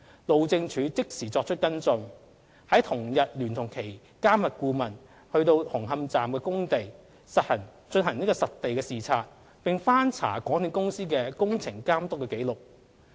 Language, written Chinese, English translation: Cantonese, 路政署即時作出跟進，在同日聯同其監核顧問到紅磡站工地進行實地視察，並翻查港鐵公司的工程監督紀錄。, HyD took immediate follow - up action and inspected on the same day the site of Hung Hom Station with the MV consultant and checked MTRCLs inspection records